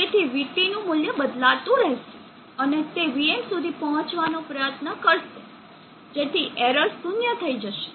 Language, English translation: Gujarati, So the value of VT will keep changing and try to reach VM such that error here becomes zero